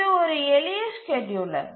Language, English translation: Tamil, So, this is a simple scheduler